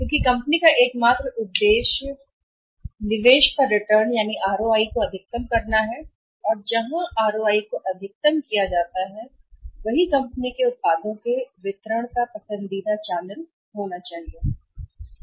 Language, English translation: Hindi, Because ultimate objective of the company is to maximize the ROI Return on Investment and where ROI is maximized that should be the preferred mode of distribution channel of distribution of company’s products in the market